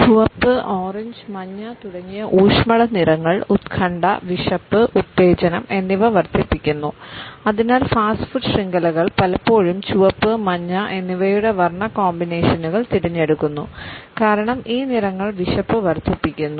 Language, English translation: Malayalam, Warm colors such as red, orange, yellow etcetera increase anxiety, appetite, arousal and therefore, fast food chains often choose color combinations of red and yellow because these colors increase appetite